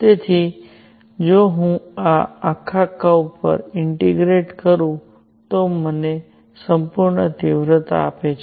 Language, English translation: Gujarati, So, if I integrate over this entire curve it gives me the total intensity